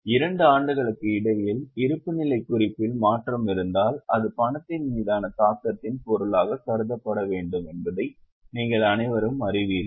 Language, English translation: Tamil, You all know that if there is a change in the balance sheet between the two years, that should be considered as most likely item of impact on cash